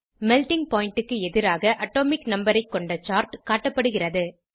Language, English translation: Tamil, A chart of Melting point versus Atomic number is displayed